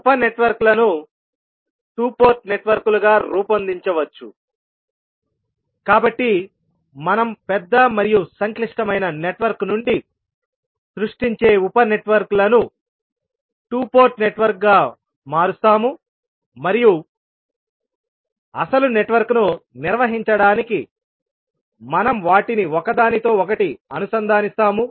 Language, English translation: Telugu, The sub networks can be modelled as two port networks, so the sub networks which we create out of the large and complex network, we will convert them as a two port network and we will interconnect them to perform the original network